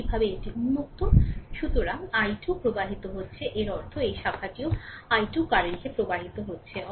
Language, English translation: Bengali, Similarly this is open so, i 2 is flowing that means, this branch also i 2 current is flowing right